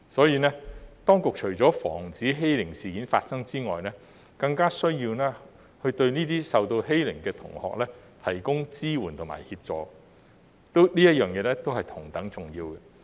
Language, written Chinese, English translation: Cantonese, 因此，當局除了防止欺凌事件發生外，更加需要對這些受到欺凌的同學提供支援和協助，這一點是同等重要的。, Therefore apart from the prevention of bullying it is more necessary for the authorities to provide support and assistance to the students who are being bullied . This point is equally important